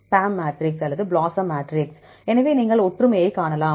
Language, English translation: Tamil, PAM matrix or BLOSUM matrix so you can see the similarities